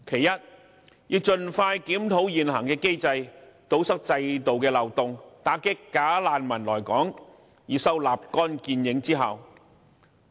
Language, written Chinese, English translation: Cantonese, 第一，盡快檢討現行機制，堵塞制度漏洞，打擊"假難民"來港，以收立竿見影之效。, First expeditiously review the existing system and plug the loopholes against incoming bogus refugees with a view to creating immediate effects